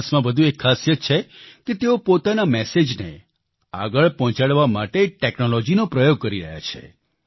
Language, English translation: Gujarati, Jonas has another specialty he is using technology to propagate his message